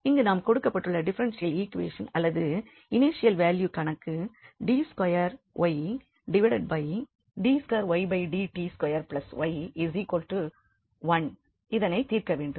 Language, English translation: Tamil, So, here we need to solve the differential equation or the initial value problem this d 2 y over dt square plus y is equal to 1